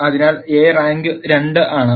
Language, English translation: Malayalam, So, rank of A is 2